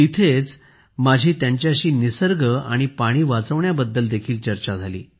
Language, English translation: Marathi, At the same time, I had a discussion with them to save nature and water